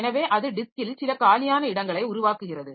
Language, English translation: Tamil, So, that creates some free spaces on the disk